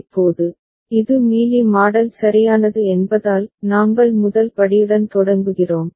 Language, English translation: Tamil, Now, a since it is Mealy model right we begin with the very first step